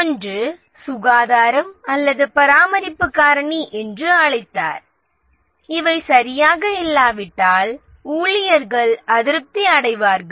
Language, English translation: Tamil, One he called as the hygiene or the maintenance factor and if these are not right, the employees become dissatisfied